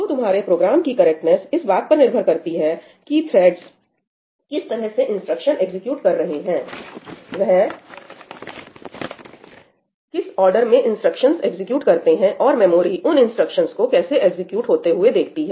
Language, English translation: Hindi, So, the correctness of your program is dependent on how the threads are executing the instructions, right, in which order they executed the instructions or how did the memory see those instructions being executed